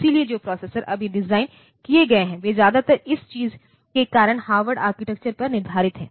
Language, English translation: Hindi, So, the processors that are designed now, they are mostly based on Harvard architecture because of this thing